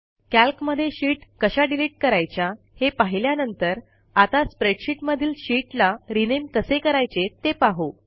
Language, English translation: Marathi, After learning about how to delete sheets in Calc, we will now learn how to rename sheets in a spreadsheet